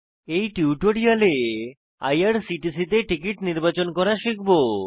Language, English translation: Bengali, In this tutorial we will learn How to choose a ticket at irctc